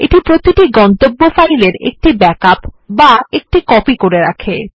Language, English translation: Bengali, This makes a backup of each exiting destination file